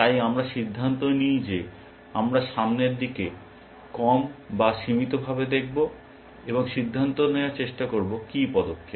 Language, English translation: Bengali, So, we decide that we will low or limited look ahead, and try to decide what is the move